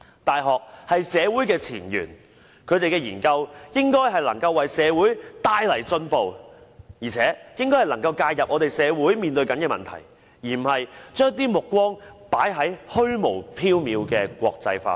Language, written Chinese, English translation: Cantonese, 大學是社會的前緣，其研究應能為社會帶來進步，並能介入社會正在面對的問題，而不是將目光放在虛無縹緲的國際化上。, Universities are the forefront of society . University researches should improve the condition of society and intervene in problems facing society; they should not focus on the unrealistic idea of internationalization